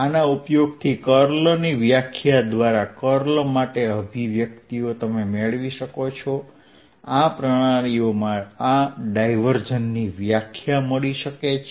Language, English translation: Gujarati, using these one can derive expressions for curl by the definition of curl, divergence by the definition of divergence in these coordinate systems also